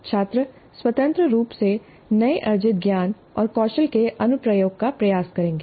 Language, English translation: Hindi, The students would independently try the application of the newly acquired knowledge and skills